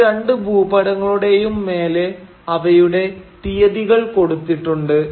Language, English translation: Malayalam, Both these maps, they have the dates on top of them